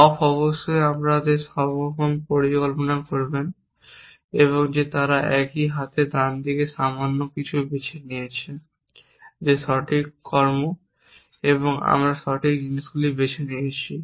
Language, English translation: Bengali, The off course we would possibly observe that they little bit of a right of a hand here that as some of chosen the right actions and the right things